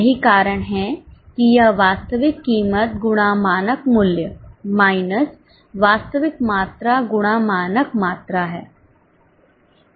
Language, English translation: Hindi, That's why it's standard quantity into standard price minus actual quantity into actual price